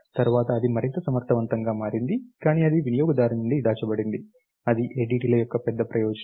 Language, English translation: Telugu, Later on it became more efficient, but that is kind of hidden from the user, that is the big advantage of ADTs